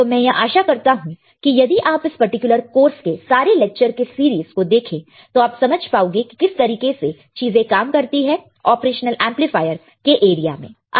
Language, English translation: Hindi, So, I hope that if you go through the entire series of lectures for this particular course, for this particular theory class then you will know how the how the things works particularly in the area of operational amplifiers